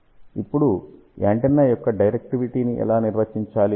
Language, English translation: Telugu, Now, how do we define directivity of the antenna